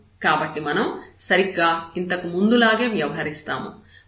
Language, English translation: Telugu, So, we will deal exactly in a similar fashion